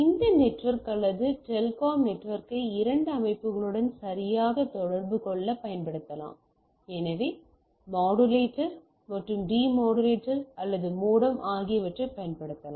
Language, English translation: Tamil, So, I can use these backbone network or the backbone telcom network to communicate with the two systems right so using modulator and demodulator or modem